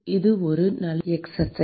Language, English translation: Tamil, it is a very good exercise